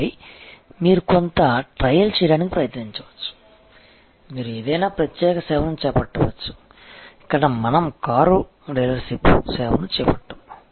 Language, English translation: Telugu, And then, you can try to do some trial, you take up any particular service, like here we have taken up a car dealerships service